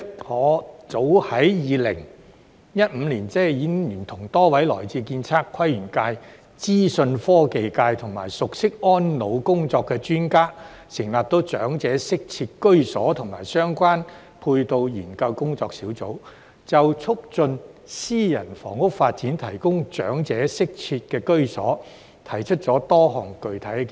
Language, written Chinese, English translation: Cantonese, 我早於2015年，已聯同多位來自建測規園界、資訊科技界、以及熟悉安老工作的專家，成立長者適切居所及相關配套研究工作小組，就促進私人房屋發展提供長者適切居所，提出多項具體建議。, As early as in 2015 I collaborated with several experts who come from the architectural surveying planning and landscape sectors information technology sector and experts familiar with elderly care to form a working group to look into elderly - friendly housing and related support facilities . A number of specific proposals had been proposed to promote private housing development for the provision of elderly - friendly housing for the elderly